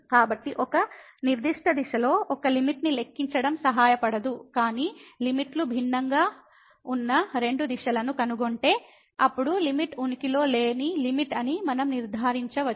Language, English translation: Telugu, So, computing limit along a particular direction will not help, but at least if we find two directions where the limits are different, then we can conclude that limit is a limit does not exist